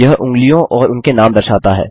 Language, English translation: Hindi, It displays the fingers and their names